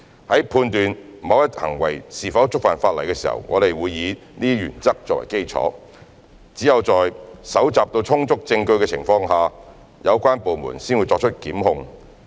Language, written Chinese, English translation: Cantonese, 在判斷某一行為是否觸犯法例時，我們會以這些原則作基礎，只有在搜集到充足證據的情況下，有關部門才會作出檢控。, These principles are the basis for us to judge whether certain acts are in violation of the law . The relevant department will initiate prosecution only when sufficient evidence is collected